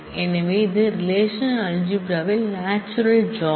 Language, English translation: Tamil, Besides that relational algebra has some aggregation operators